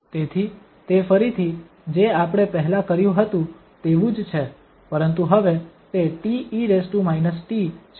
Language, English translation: Gujarati, So it's again similar to what we have done before but now it is a t e power minus t so the function is different